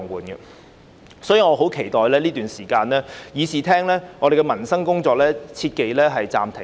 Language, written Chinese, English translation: Cantonese, 因此，在這段時間，議事堂內的民生工作切忌暫停。, Hence in this period of time it is most inadvisable to stop the work of this Council relating to livelihood issues